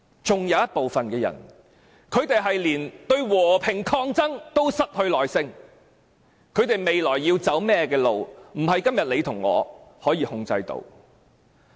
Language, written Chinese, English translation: Cantonese, 還有一部分人對和平抗爭都失去耐性，他們未來要走甚麼路，不是你和我可以控制的。, Moreover some people have lost patience in peaceful protest and we cannot control their way of direction in the future